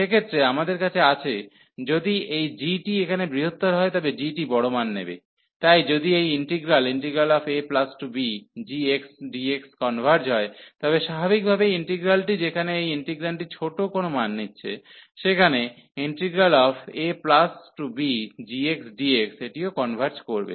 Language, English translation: Bengali, And in that case, we have that if this g the bigger one here that the g is taking large values, so if this integral a to b g x dx this converges, then naturally the integral, which where this integrand is taking the lower values, then the g this will also converge